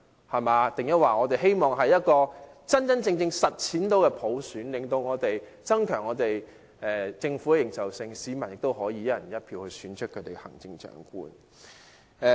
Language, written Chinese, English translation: Cantonese, 我們是否希望能真正實踐普選，增強政府的認受性，讓市民以"一人一票"方式選出行政長官？, But do they really want to implement universal suffrage to enable the people to elect the Chief Executive based on one person one vote so that the Governments legitimacy can be enhanced?